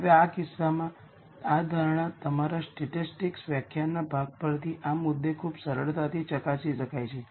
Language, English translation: Gujarati, Now, in this case, this assumption can quite easily be verified right at this point from your statistics part of the lecture